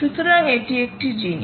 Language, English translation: Bengali, ok, so that is one thing